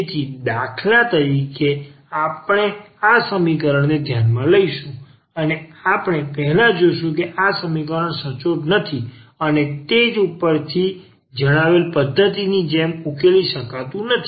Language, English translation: Gujarati, So, for instance we will consider this equation and we will first see that this equation is not exact and hence it cannot be solved as the method discussed above